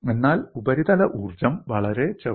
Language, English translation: Malayalam, Why do the surface energies come out